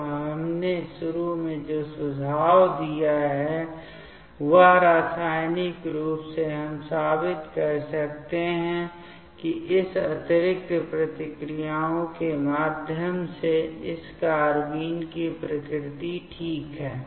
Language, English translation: Hindi, So, what we have initially suggested that these chemically we can prove that the nature of this carbene through this addition reactions ok